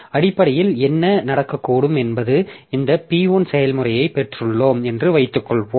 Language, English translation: Tamil, So, basically what can happen is that suppose we have got this process P1, so which is executing a piece of code